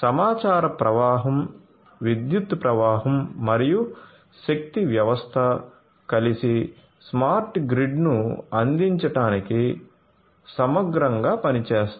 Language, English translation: Telugu, So, information flow, power flow and power system together holistically works to offer to deliver a smart grid